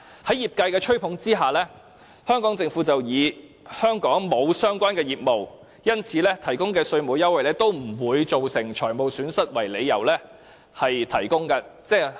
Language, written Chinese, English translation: Cantonese, 在業界的吹捧之下，香港政府以香港沒有相關業務，因此提供的稅務優惠不會造成財務損失為由，建議提供優惠。, With the cheerleading of the industries the Hong Kong Government suggests providing tax concession on the grounds that the relevant business is not operating in Hong Kong now and the tax concession to be offered will not lead to any financial loss to Hong Kong